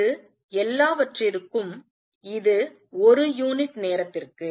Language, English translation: Tamil, And this is all this is per unit time